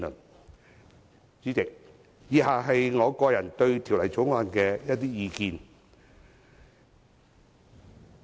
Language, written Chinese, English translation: Cantonese, 代理主席，以下是我對《條例草案》的個人意見。, Deputy President the following are my personal views on the Bill